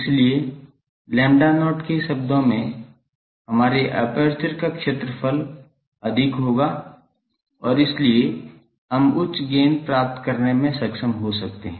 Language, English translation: Hindi, So, our area of the aperture in terms of lambda not will be higher and so, we may be able to get higher gain